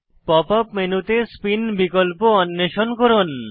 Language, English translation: Bengali, Explore the Spin option in the Pop up menu